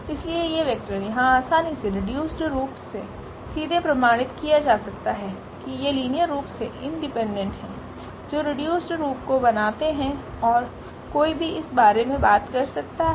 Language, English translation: Hindi, So, these vectors here one can easily prove directly from the reduced form that these are linearly independent, these are linearly independent that form the reduced form one can talk about this